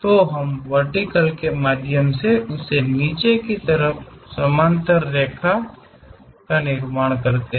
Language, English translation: Hindi, So, we construct a line parallel to that dropping through vertical